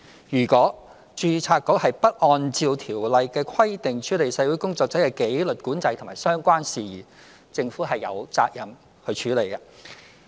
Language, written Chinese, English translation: Cantonese, 如果註冊局不按照《條例》的規定處理社會工作者的紀律管制及相關事宜，政府便有責任去處理。, If the Board is not handling the disciplinary control of social workers and related matters in accordance with the provisions of the Ordinance the Government is obliged to do so